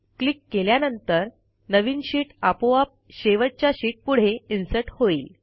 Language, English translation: Marathi, On clicking it a new sheet gets inserted automatically after the last sheet in the series